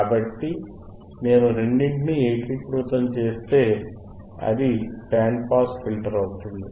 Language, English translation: Telugu, So, if I integrate both, it becomes a band pass filter,